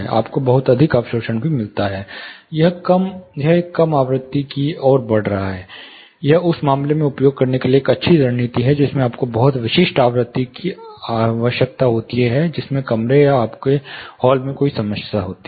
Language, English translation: Hindi, You also get a very high absorption, it is shifting towards a low frequency, it is a good way of, you know good strategy to use in case you are requiring, very specific frequency in which there is a problem in the room or your hall